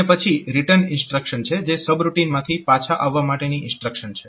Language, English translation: Gujarati, And then there is a return instruction to return from the sub routine